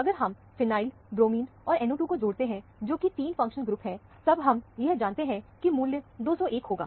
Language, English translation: Hindi, If you add up the phenyl, bromine, and NO 2, which are the 3 functional group that we already know, it amounts to 201